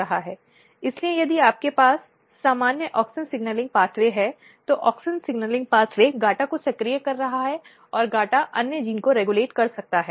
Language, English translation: Hindi, So if you have auxin signalling pathway, auxin signalling pathway is activating GATA and GATA might be regulating something and this is clear here